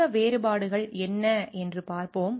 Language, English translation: Tamil, Let us see what are these differences